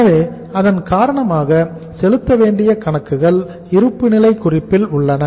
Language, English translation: Tamil, So because of that the accounts payables exist in the balance sheet